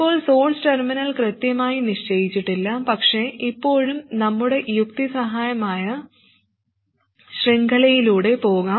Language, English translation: Malayalam, Now the source terminal is not exactly fixed but still we can go through our chain of reasoning